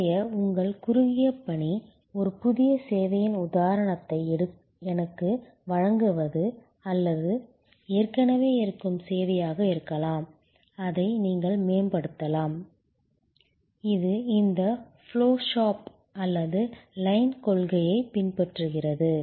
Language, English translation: Tamil, Your short assignment for today is to give me some example of a new service or it could be an existing service, which you can enhance, which follows these flow shop or line principle